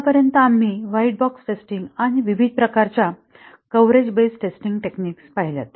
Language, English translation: Marathi, So far we have been looking at white box testing and the different types of coverage based testing techniques